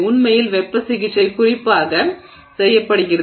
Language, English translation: Tamil, Heat treatment is done specifically